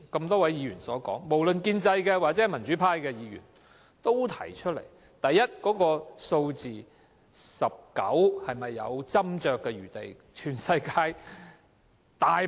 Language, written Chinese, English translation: Cantonese, 多位議員，包括建制派及民主派議員剛才提到，第一 ，"19" 這個數字是否有斟酌餘地。, A number of Members including Members of the pro - establishment and democratic camps have just mentioned that the increase to 19 seats is debatable